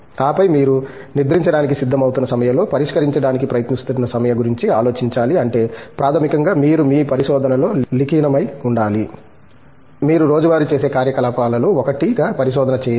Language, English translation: Telugu, And then, you should be able to go to bed thinking about the problem that you are trying to solve okay that basically means, you are involved in your research, you do not take a research as one of activities that you do on a daily basis